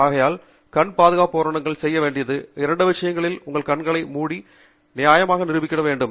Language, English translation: Tamil, So, therefore, the two things that the eye safety equipment has to do is to cover your eye and also be reasonably shatter proof